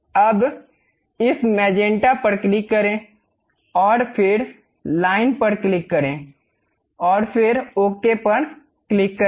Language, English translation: Hindi, Now, click this magenta one and then click the line and then click ok